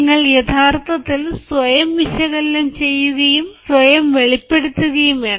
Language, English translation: Malayalam, you actually have to have a sort of analysis of yourself